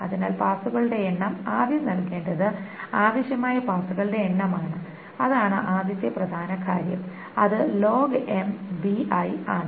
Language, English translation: Malayalam, So the number of passes, the first thing to enter is the number of passes that is required